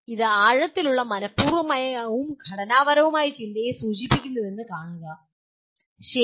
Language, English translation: Malayalam, See it refers to the deep intentional and structured thinking, okay